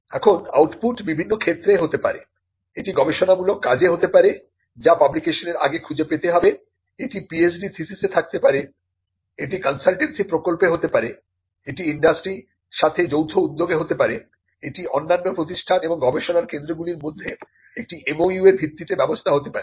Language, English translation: Bengali, Now, the output can be in different places it could be in research work which has to be found before publication it could be in PhD theses, it could be in consultancy projects, it could be in joint venture with industry, it could be in arrangement based on an MOU between other institutions and research centres